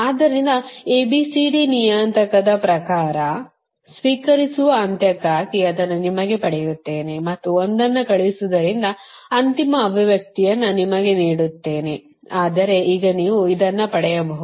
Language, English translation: Kannada, so in terms of youre a, b, c, d parameter, so this one, i will get it for you for the receiving end one and sending one, i will give you the, your final expression